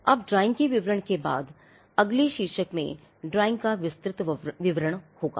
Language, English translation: Hindi, Now, following the description of drawing, the next heading will be detailed description of the drawing